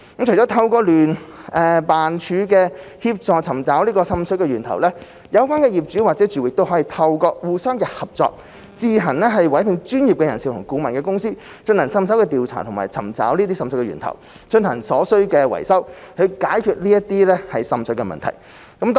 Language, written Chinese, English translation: Cantonese, 除了透過聯辦處的協助尋找滲水源頭，有關業主或住戶可以透過互相合作，自行委聘專業人士/顧問公司進行滲水調查及尋找滲水源頭，並進行所需的維修，以解決滲水問題。, Apart from seeking assistance from JO for identifying the source of seepage owners or occupants may cooperate among themselves to engage professionalsconsultants to carry out investigation and identify the source of seepage and to conduct the necessary repair works to resolve the water seepage problems